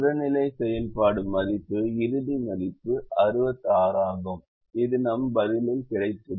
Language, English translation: Tamil, the objective function value is, final value is sixty six, which we got in our answer